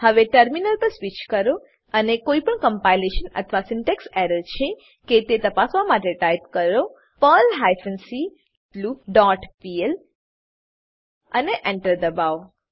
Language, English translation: Gujarati, Now, switch to terminal and type the following to check for any compilation or syntax errors perl hyphen c loop dot pl and press Enter